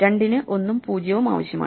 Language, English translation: Malayalam, Now, we have 1 and 2